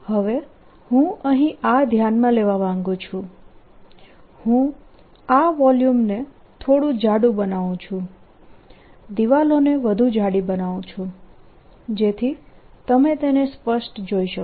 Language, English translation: Gujarati, what i want to consider now i'll make this volume little thicker, so that the walls little thicker, so that you see it clearly